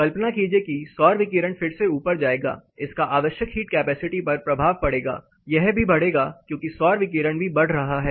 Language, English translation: Hindi, Imagine solar radiation is going to go up again it will have some implication on the required heat capacity this will go up as solar radiation intensity goes up